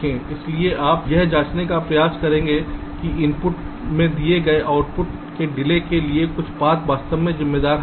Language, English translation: Hindi, so you try to check whether the path is actually responsible for the delay from an input to ah given output or not